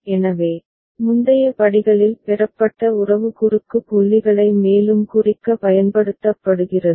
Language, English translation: Tamil, So, relationship obtained in the previous steps are used for further marking of cross points